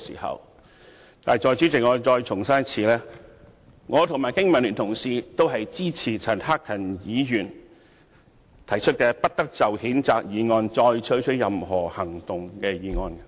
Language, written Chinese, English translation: Cantonese, 可是，代理主席，我要重申，我和經民聯的同事均支持陳克勤議員提出，"不得就譴責議案再採取任何行動"的議案。, Deputy President however I would like to reiterate that both my colleagues of the Business and Professionals Alliance for Hong Kong and I support the motion that no further action be taken on the censure motion moved by Mr CHAN Hak - kan